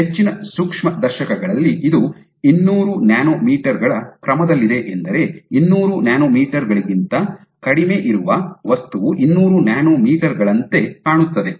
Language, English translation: Kannada, So, what is resolution limit is of most microscopes are ordered 200 nanometers, which is to say that an object which is less than 200 nanometers would look like 200 nanometers